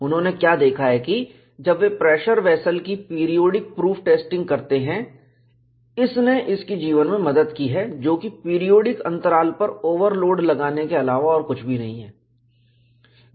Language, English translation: Hindi, What they have looked at is, when they do periodic proof testing of the pressure vessel, it has helped its life, which is nothing, but introducing overload at periodic intervals